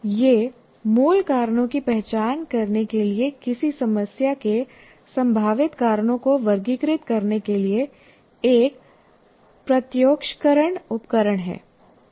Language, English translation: Hindi, It is a visualization tools for categorizing potential causes of a problem in order to identify the root causes